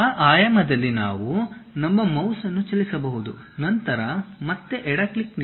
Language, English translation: Kannada, Along that dimension we can just move our mouse, then again give left click